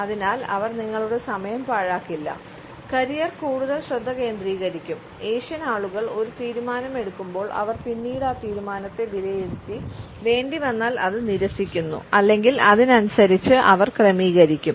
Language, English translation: Malayalam, So, they will not be wasting your time there are more focus on the career when the Asian people make a decision there always refute as a decision later on see if it is still the right choice if this is not a case, they will adjust accordingly